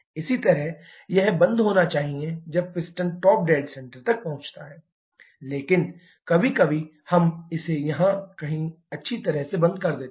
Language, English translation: Hindi, Similarly, it should close when the piston reaches the top dead centre but sometimes, we close it well beyond may be somewhere here